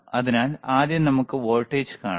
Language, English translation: Malayalam, So, let us first see just the voltage